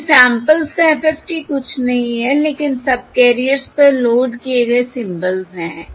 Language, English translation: Hindi, Therefore, the FFT of the samples is nothing but the symbols loaded onto the subcarriers